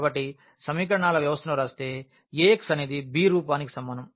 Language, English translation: Telugu, So, if we write down the system of equations into Ax is equal to b form